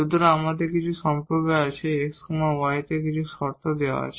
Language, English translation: Bengali, So, we have some relations some conditions on x y is given